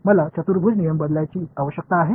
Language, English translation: Marathi, Do I need to change the quadrature rule